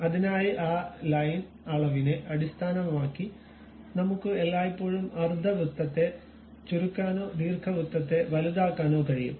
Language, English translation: Malayalam, So, based on that Line dimension we can always either shrink this ellipse or enlarge the ellipse